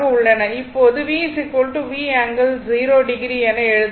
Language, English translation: Tamil, That is why, you can write V plus j 0